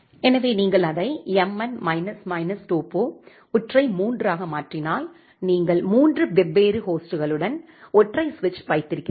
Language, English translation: Tamil, So, if you make it mn minus minus topo, single 3, then you have a single switch with three different hosts